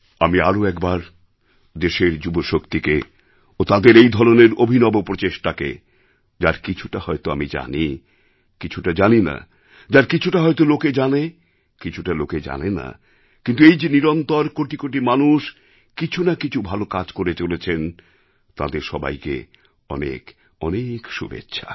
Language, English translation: Bengali, I once again felicitate the youth of my country for their innovative experiments, some of which I might have got to know, some might have escaped me, some people might or may not be aware of but nonetheless I wish countless people involved in doing beneficial work ,very good luck from my side